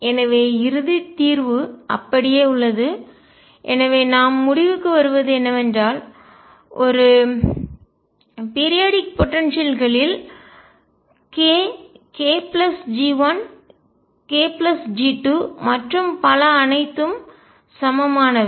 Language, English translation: Tamil, And therefore, the final solution remains the same and therefore, what we conclude is that in a periodic potential k, k plus G 1 k plus G 2 and so on are all equivalent